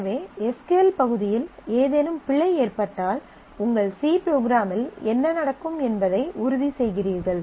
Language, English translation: Tamil, So, you by making sure that if there is some error that happens in the SQL part, what will happen in your C program